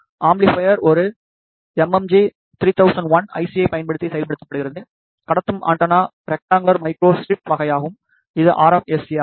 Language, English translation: Tamil, The amplifier is implemented using an MMG 3001 IC, the transmitting antenna is of rectangular microstrip type which is RMSA